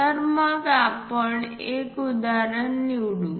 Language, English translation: Marathi, So, let us pick an example